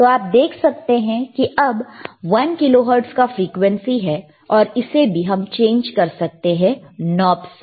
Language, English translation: Hindi, So now it is 1 kilohertz right, so, you can see there is a one kilohertz frequency again you can change the knob